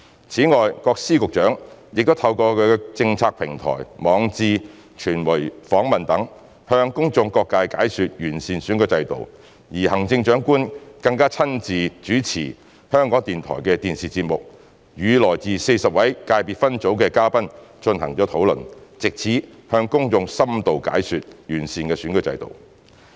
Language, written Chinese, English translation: Cantonese, 此外，各司局長亦透過其政策平台、網誌、傳媒訪問等，向公眾各界解說完善的選舉制度，而行政長官更親自主持香港電台的電視節目，與來自40個界別分組的嘉賓進行討論，藉此向公眾深度解說完善選舉制度。, Moreover Secretaries of Departments and Directors of Bureaux have explained the improved electoral system to various sectors in the community through their political platforms blogs and media interviews etc and the Chief Executive even personally hosted a TV programme of the Radio Television Hong Kong to discuss with guests from the 40 Election Committee EC subsectors with a view to providing the public with an in - depth explanation on improving the electoral system